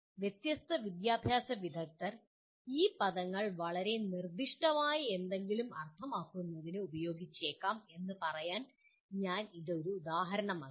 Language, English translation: Malayalam, I gave that as an example to say different educationists may use these words to mean something very specific